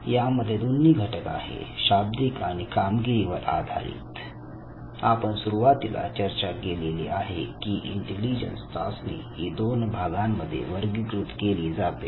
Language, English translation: Marathi, Now this has both the elements the verbal and the performance elements, we discussed in the beginning that intelligence tests can be divided broadly into two categories